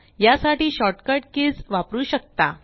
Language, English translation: Marathi, You can use the short cut keys for this purpose